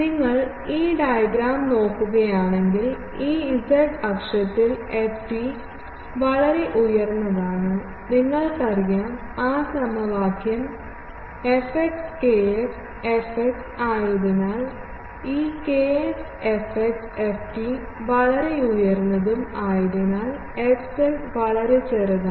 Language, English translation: Malayalam, If you look at this diagram, so along this z axis, the ft is highly peaked and you know that since the fx kx fx that formula, this kx fx is ft is highly peaked then fz, because of this is very small